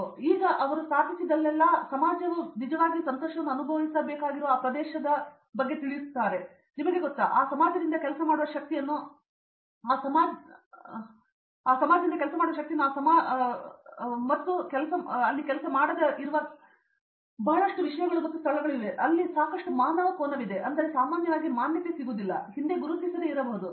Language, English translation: Kannada, But now they have become much more conscious of the fact that wherever they set up there is you know society near that area, which they have to work with, which they and that society has to actually feel happy with them, they would also you know work with that society get the work force from that society not pollute that location lot of aspects are there where there is a lot human angle in it, which is not not normally recognized or may not have been recognized as much in the past